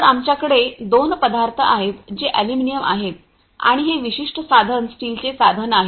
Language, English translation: Marathi, So, we have two materials which are aluminum and this particular tool is a steel tool